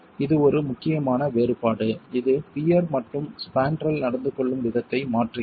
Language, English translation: Tamil, This is one important difference that changes the way the peer and the spandrel behave